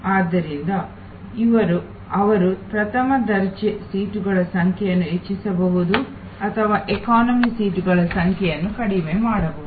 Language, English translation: Kannada, So, they can increase the number of first class seats or business class seats reducing the number of economy seats